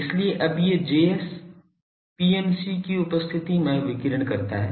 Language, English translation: Hindi, So now these Js radiates in presence of an PMC